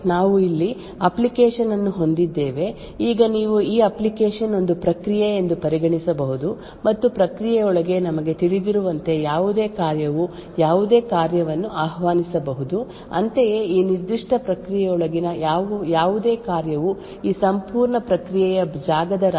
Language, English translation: Kannada, Now what we achieve with Fine grained confinement is that we have an application over here, now this application you could consider this as a process and as we know within a process any function can invoke any other function, Similarly any function within this particular process can access any global data or data present in the heap of this entire process space